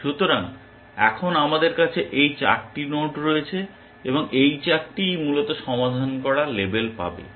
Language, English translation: Bengali, So, now, we have these 4 nodes and all 4 will get label solved essentially